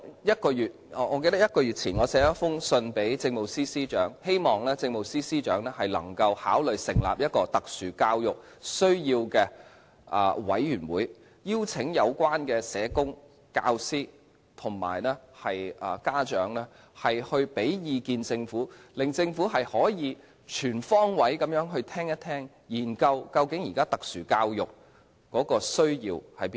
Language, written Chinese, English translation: Cantonese, 一個月前，我曾致函政務司司長，希望他考慮成立一個特殊教育需要的委員會，邀請有關的社工、教師及家長向政府提供意見，令政府可以全方位聆聽，研究現時特殊教育有何需要。, I wrote to the Chief Secretary for Administration a month ago and expressed my wish that he can consider establishing a committee for SEN and invite the relevant social workers teachers and parents to give opinions to the Government so that the Government can listen to their views in a comprehensive manner and study the needs of special education